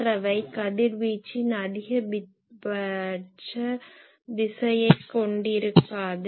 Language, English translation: Tamil, The others are not containing maximum direction of radiation